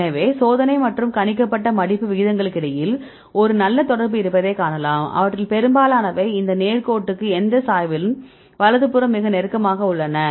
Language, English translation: Tamil, So, you can see there is a good correlation between the experimental and the predicted folding rates right most of them are very close to these straight line right this slope